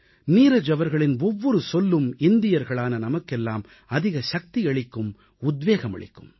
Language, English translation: Tamil, Every word of Neeraj ji's work can instill a lot of strength & inspiration in us Indians